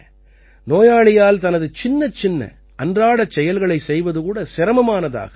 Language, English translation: Tamil, It becomes difficult for the patient to do even his small tasks of daily life